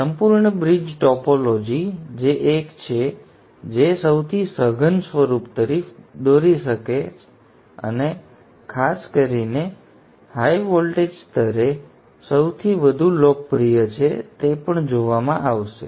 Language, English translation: Gujarati, The full bridge topology which is the one which would lead to the most compact form and the most popular especially at the higher wattage levels will also be looked at